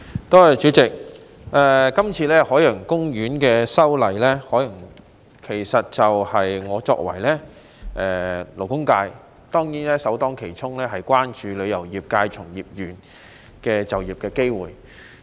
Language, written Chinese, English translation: Cantonese, 代理主席，對於這次有關海洋公園的修例，我作為勞工界代表，首先當然會關注旅遊業界從業員的就業機會。, Deputy President being a representative of the labour sector I would certainly be first concerned about employment opportunities in the tourism industry in this amendment exercise relating to Ocean Park